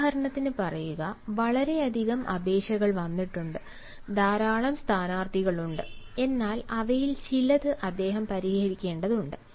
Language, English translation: Malayalam, say, for example, so many applications have come and so many candidates are there, but he has to scrutinise some of them